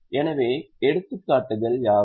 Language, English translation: Tamil, So, what are the examples